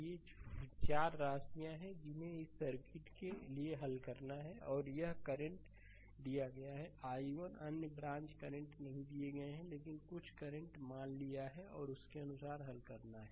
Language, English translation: Hindi, This are the this are the 4 quantities that we have to solve for this circuit right and here current is given i 1 other branches currents are not given, but we have to we have to assume right some current and according to we have to solve